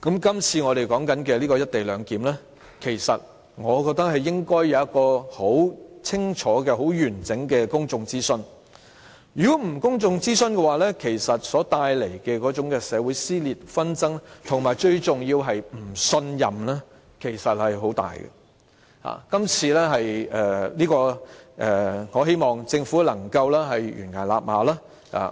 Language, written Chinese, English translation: Cantonese, 這次我們討論的"一地兩檢"安排，我覺得應該要有很清楚和完整的公眾諮詢；如果不進行公眾諮詢，將帶來很大的社會撕裂、紛爭，而最重要的是會帶來不信任，我希望政府能夠臨崖勒馬。, With regard to the co - location arrangement under discussion I think there should be clear comprehensive public consultation . Without public consultation serious social divisions and disputes will be brought forth and most importantly distrust will be resulted and I hope the Government can rein in at the brink of the precipice